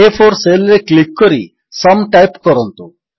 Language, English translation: Odia, Click on the cell A4 and type SUM